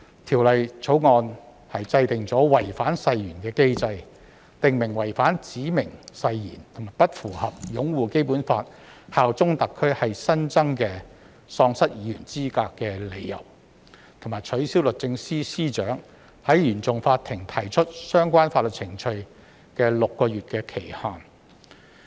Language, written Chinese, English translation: Cantonese, 《條例草案》制訂違反誓言的機制，訂明違反指明誓言及不符合擁護《基本法》、效忠特區是新增的喪失議員資格的理由，並取消律政司司長在原訟法庭提起相關法律程序的6個月期限。, The Bill establishes a mechanism for the breach of an oath; specifies that the breach of a specified oath and failure to uphold the Basic Law and bear allegiance to SAR are new grounds for disqualification of a Legislative Council Member or DC member from holding office and removes the existing time limit of six months within which the Secretary for Justice SJ may bring proceedings before the Court of First Instance CFI